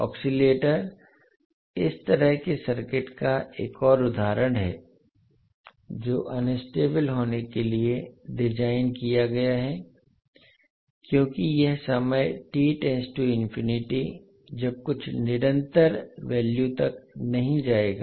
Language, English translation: Hindi, The oscillator is another example of such circuit, which is designed to be unstable because it will not die out to some constant value, when the time t tends to infinity